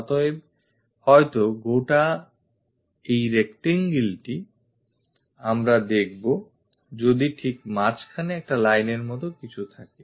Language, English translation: Bengali, So, perhaps this entire rectangle, we will see it there is something like a line at middle